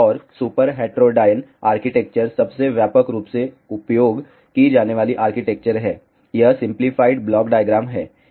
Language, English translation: Hindi, And, super heterodyne architecture is the most widely used architecture, this is the simplified block diagram